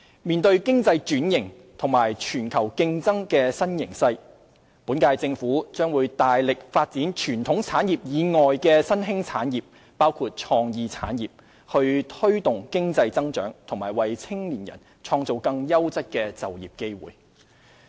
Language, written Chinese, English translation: Cantonese, 面對經濟轉型和全球競爭的新形勢，本屆政府將大力發展傳統產業以外的新興產業，包括創意產業，以推動經濟增長及為青年人創造更優質的就業機會。, In the face of economic restructuring and the new landscape in global competition the Government of this term will endeavour to promote the development of emerging industries in addition to conventional industries which include the creative industries to give impetus to economic growth and create quality employment opportunities for young people